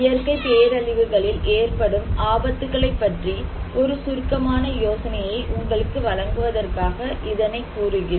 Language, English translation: Tamil, But just to give you a brief idea about the types of hazards in natural disasters